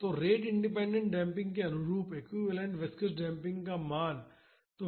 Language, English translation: Hindi, So, what is the equivalent viscous damping value corresponding to the rate independent damping